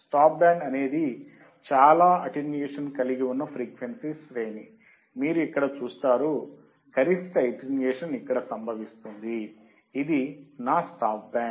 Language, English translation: Telugu, Stop band is a range of frequency that have most attenuation, you see here, the maximum attenuation occurs here it is a stop band right